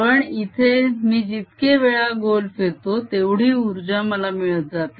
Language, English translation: Marathi, but here i go around more, more is the energy that i gain